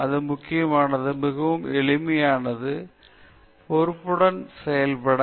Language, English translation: Tamil, And what is more important is very simple act with responsibility